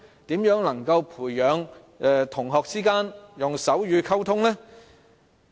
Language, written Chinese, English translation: Cantonese, 如何能培養同學間以手語溝通呢？, How can students cultivate the habit of using sign language as a means of communication?